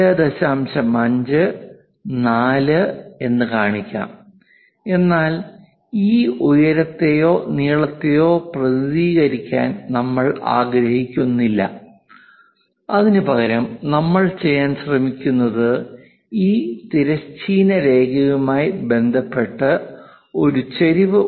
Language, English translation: Malayalam, 5, 4, but we do not want to represent this height or length, instead of that what we are trying to do is this is having an incline, incline with respect to this horizontal line